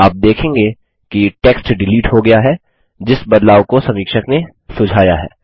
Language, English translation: Hindi, You will see that the text gets deleted which is the change suggested by the reviewer